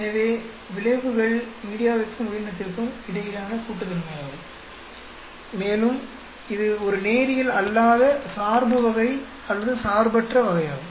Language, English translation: Tamil, So, the effects are additive between the media and the organism, and it is not a non linear type of dependence or an interaction type of dependence